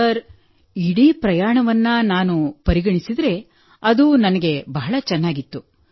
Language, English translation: Kannada, Yes, if we consider the whole journey, it has been wonderful for me